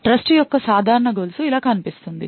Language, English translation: Telugu, A typical chain of trust looks something like this